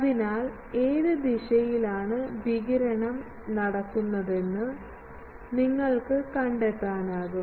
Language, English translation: Malayalam, So, by that you can find out in which direction radiation is taking place